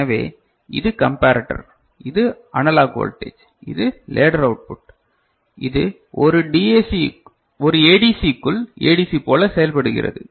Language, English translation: Tamil, So, this is the comparator, this is the analog voltage, this is the output of the ladder, which is effectively working like ADC within a ADC right